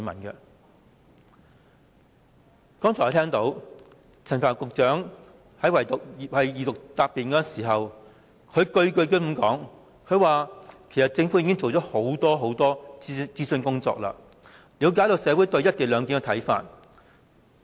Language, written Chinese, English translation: Cantonese, 我剛才聽到陳帆局長在二讀答辯時，不斷說其實政府已做了很多諮詢的工作，已了解社會對"一地兩檢"的看法。, Just now I have heard Secretary Frank CHAN said that the Government has done a lot of consultation work and that the Government knew public views on the co - location arrangement in his reply during the Second Reading